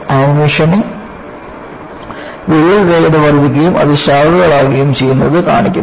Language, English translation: Malayalam, The animation shows that, crack speed increases and it branches out